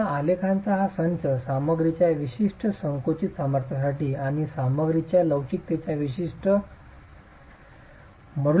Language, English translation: Marathi, Again, this set of graphs have been made for a certain compressive strength of the material and a certain modulus of elasticity of the material